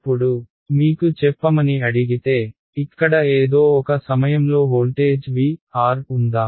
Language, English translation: Telugu, Now, if I ask you what is let us say, the voltage at some point over here V of r